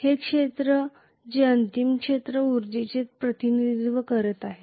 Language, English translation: Marathi, This is the area which is representing the final field energy